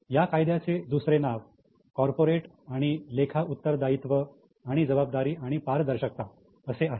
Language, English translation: Marathi, The other name for it is corporate and auditing accountability and responsibility and transparency act